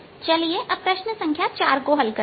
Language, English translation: Hindi, lets solve question number four